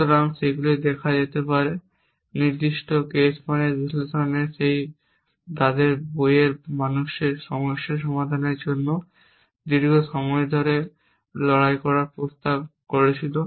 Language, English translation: Bengali, So, all those can be seen as specific case is of means analysis and that was propose fight long time in their book for human problem solving